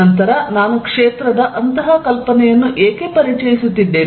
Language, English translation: Kannada, Then, why I am introducing such an idea of a field